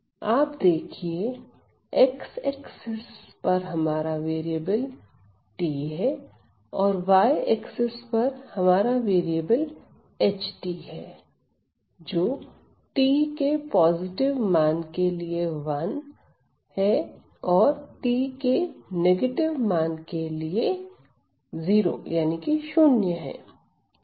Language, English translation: Hindi, So, I on my x axis is my variable t and on my y axis is my variable H of t which is 1 for t positive and 0 for t negative